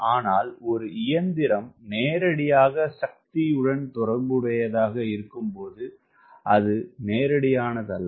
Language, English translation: Tamil, when an engine is related to power, it is not so straightforward